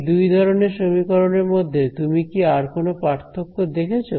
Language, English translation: Bengali, Do you notice any other change between these two sets of equations